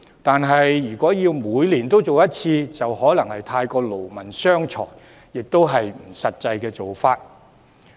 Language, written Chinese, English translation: Cantonese, 但他建議每年進行普查，就可能過於勞民傷財，亦不切實際。, But his proposal for an annual survey may waste too much manpower and money and run the risk of being impractical